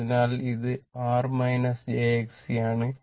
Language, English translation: Malayalam, So, I R plus j X L minus X C